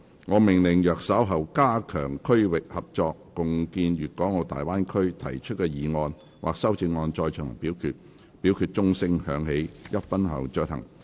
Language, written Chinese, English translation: Cantonese, 我命令若稍後就"加強區域合作，共建粵港澳大灣區"所提出的議案或修正案再進行點名表決，表決須在鐘聲響起1分鐘後進行。, I order that in the event of further divisions being claimed in respect of the motion on Strengthening regional collaboration and jointly building the Guangdong - Hong Kong - Macao Bay Area or any amendments thereto this Council do proceed to each of such divisions immediately after the division bell has been rung for one minute